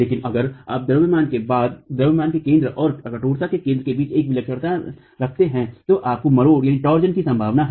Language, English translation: Hindi, But in case, if you have an eccentricity between the center of mass and the center of stiffness, you have the possibility of torsion